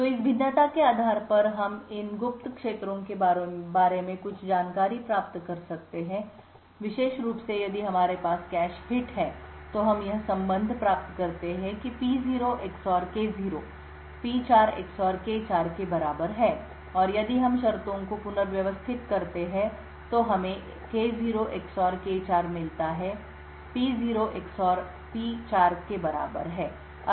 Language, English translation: Hindi, So the based on this variation we can obtain some information about these secret fields, specifically if we have a cache hit then we obtain this relation that P0 XOR K0 is equal to P4 XOR K4 and if we just rearrange the terms we get K0 XOR K4 is equal to P0 XOR P4